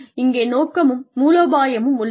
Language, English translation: Tamil, There is a vision and strategy